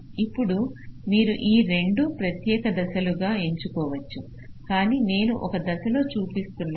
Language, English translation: Telugu, now you can choose this to into separate steps, but i am showing in one step